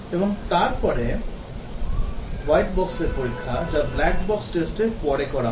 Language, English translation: Bengali, And then the white box testing, which is carried out after the black box testing